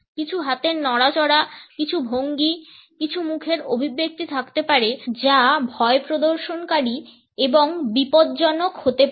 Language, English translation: Bengali, There may be some hand movements, certain postures, certain facial expressions which can be threatening and menacing